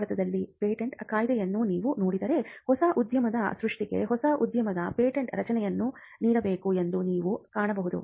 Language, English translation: Kannada, Now, if you look at the patents Act in India as well, you will find that creation of new industry patent should be granted for the creation of new industry, new industries and they should be transfer of technology